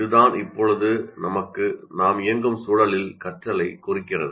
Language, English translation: Tamil, That's what really constitutes learning in the context where we are right now operating